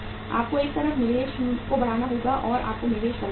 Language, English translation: Hindi, You have to on the one side raise the investment or you have to make the investment